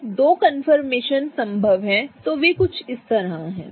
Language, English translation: Hindi, The two confirmations that are possible are somewhat like this